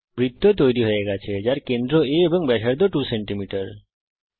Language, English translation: Bengali, Click OK A circle with center A and radius 2cm is drawn